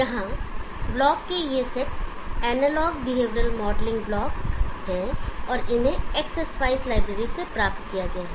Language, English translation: Hindi, These set of blocks here or analog behavioural modelling blocks and they are obtained from the X spice library